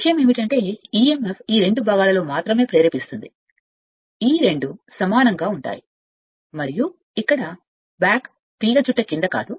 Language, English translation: Telugu, Only thing is that emf will induced only these two parts these two are coincides and not under the back coil not here